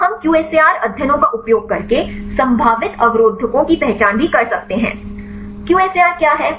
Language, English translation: Hindi, So, we can also identify the potential inhibitors using the QSAR studies; what is a QSAR